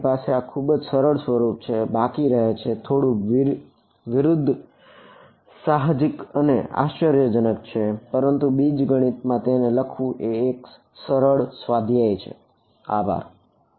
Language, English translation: Gujarati, You’re left with this very simple form it is a little counter intuitive and surprising, but that is what it is ok, but it is a simple exercise in algebra to write it